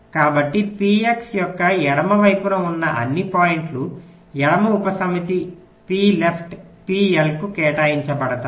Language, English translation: Telugu, so all points to the left of p x is assign to a left subset, p left, p l, all the points to right is assigned to p r